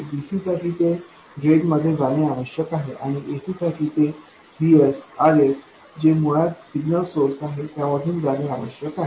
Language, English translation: Marathi, For DC, for DC, it should go to the drain and for AC, it must go to Vs R S, basically the signal source